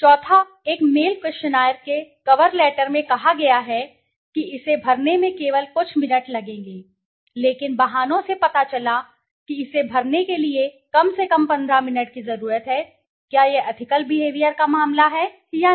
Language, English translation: Hindi, The fourth one, the cover letter of a mail questionnaire says that it will only take few minutes to fill out, but pretests have shown that at least fifteen minutes are needed to fill it out, is this a case of ethical behavior or not